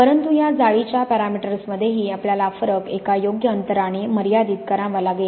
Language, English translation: Marathi, But even these lattice parameters, we have to constrain the variation within a sensible interval